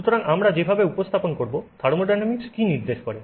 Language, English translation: Bengali, So, how do we represent what thermodynamics indicates